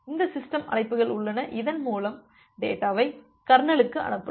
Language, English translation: Tamil, So, there are this system calls through which you can send the data to the kernel, from the application